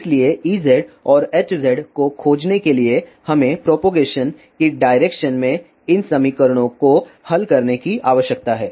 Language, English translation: Hindi, So, to find E z and H z we need to solve these equation in the direction of propagation